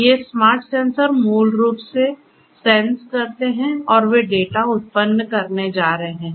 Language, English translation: Hindi, These smart sensors basically sense and they are going to generate the data